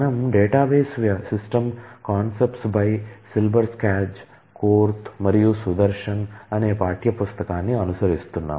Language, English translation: Telugu, It is called Database System Concept by Silberschatz, Korth and Sudarshan